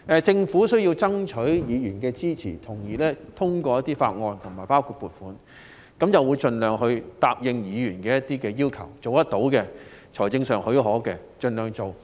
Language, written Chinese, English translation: Cantonese, 政府需要爭取議員的支持來通過一些法案，包括撥款條例草案，因而會盡量答應議員一些要求，會盡量實行可行的或財政許可的措施。, The Government needs to strive for Members support for the passage of some bills including the appropriation bill so it will concede to some demands made by Members as far as possible and implement feasible and financially viable measures